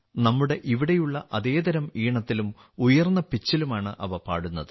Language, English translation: Malayalam, They are sung on the similar type of tune and at a high pitch as we do here